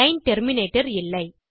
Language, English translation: Tamil, Didnt use the line terminator